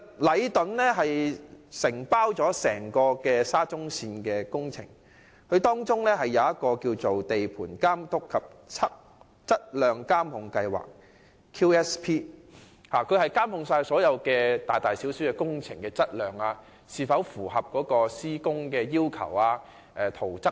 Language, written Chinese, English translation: Cantonese, 禮頓承包整個沙中線工程，訂立了地盤監督及質量監控計劃，旨在監控各項大小工程的質量、施工規格及圖則等。, Leighton which undertakes the whole SCL project has developed a Site Supervision Plan and a Quality Supervision Plan to monitor different aspects including quality specifications and drawings of all relevant works